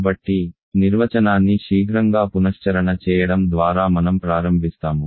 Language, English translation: Telugu, So, let me start by giving a quick recap of the definition